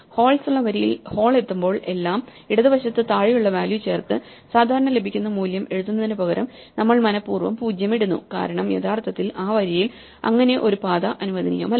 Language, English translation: Malayalam, So, for the row with holes, wherever we hit a hole instead of writing the value that we would normally get by adding its left and bottom neighbour we deliberately put a 0 because; that means, that no path is actually allowed propagating through that row